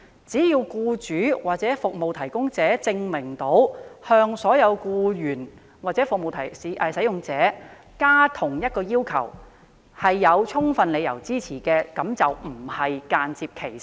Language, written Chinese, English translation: Cantonese, 只要僱主或服務提供者證明要求所有僱員或服務使用者遵守劃一的要求，而該要求有充分理由支持，便不是間接歧視。, As long as the employer or service provider proves that all staff or service users are required to comply with uniform requirements and the requirement is supported by sufficient reasons indirect discrimination does not exist